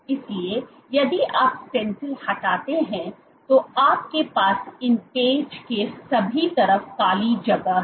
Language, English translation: Hindi, So, if you remove the stencil so what you have is empty space on all sides of these patches